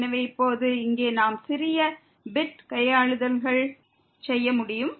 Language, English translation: Tamil, So now, here we can do little bit manipulations